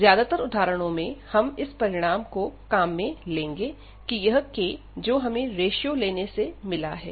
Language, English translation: Hindi, And most of the examples exactly we use this conclusion that this j k, which we got after this limit of this ratio